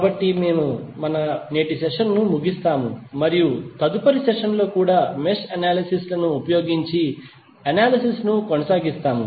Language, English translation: Telugu, So with this we close our today's session and we will continue the analysis using mesh analysis in the next session also